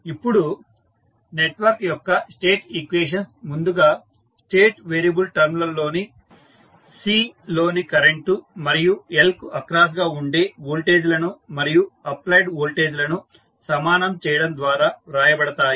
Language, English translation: Telugu, Now, the state equations for the network are written by first equating the current in C and voltage across L in terms of state variable and the applied voltage